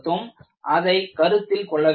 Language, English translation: Tamil, So, that has to be looked at